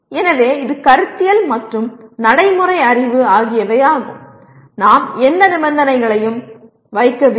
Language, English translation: Tamil, So it is both conceptual and procedural knowledge and we have not put any conditions